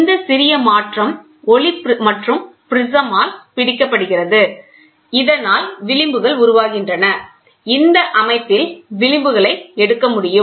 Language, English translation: Tamil, This slight shifting light is captured by another prism so that the fringes can be done; so, that the fringes can be taken in this setup